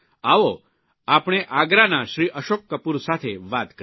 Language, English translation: Gujarati, Come let us speak to Shriman Ashok Kapoor from Agra